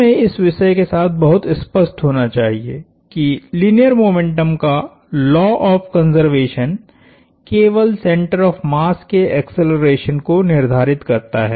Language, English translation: Hindi, Let us be very clear about that, the law of conservation of linear momentum only determines the center of mass acceleration